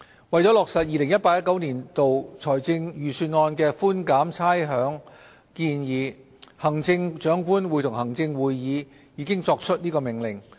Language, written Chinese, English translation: Cantonese, 為落實 2018-2019 年度財政預算案的寬減差餉建議，行政長官會同行政會議已作出《命令》。, In order to implement the rates concession proposed in the 2018 - 2019 Budget the Chief Executive in Council already made the Order